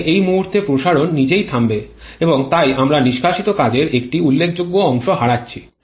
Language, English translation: Bengali, Here expansion stops at this point itself and so we are losing a significant fraction of the exhaust work